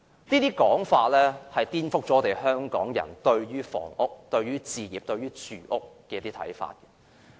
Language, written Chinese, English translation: Cantonese, 這種說法顛覆了香港人對於房屋、置業和住屋的看法。, This claim has overturned Hong Kong peoples perception of housing home ownership and accommodation